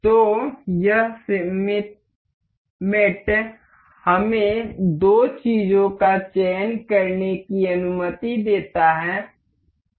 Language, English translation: Hindi, So, this symmetric mate allows us to select two things